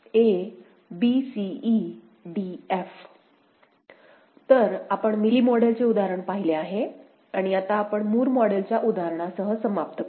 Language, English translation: Marathi, So, you have seen the Mealy model example and now we shall end with a Moore model example, right